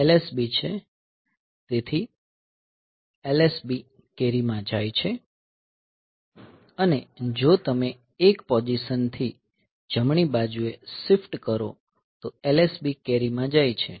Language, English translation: Gujarati, So, this LSB, so LSB goes to the carry if you right shift by 1 position LSB goes to the carry